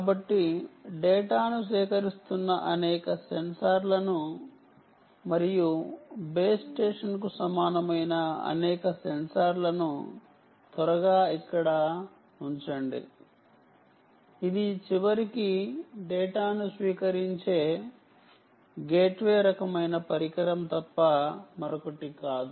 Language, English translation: Telugu, so let me so lets quickly put down several censors here which are gathering data, and an equivalent of a, a base station which or is nothing but a gateway kind of device which ultimately receives data